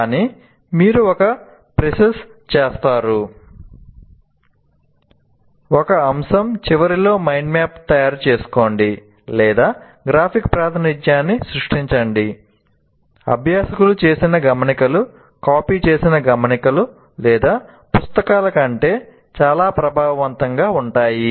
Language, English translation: Telugu, So either you do a pre see, making a mind map at the end of a topic, or creating a graphic representation, notes made by the learners are more effective than copied notes or books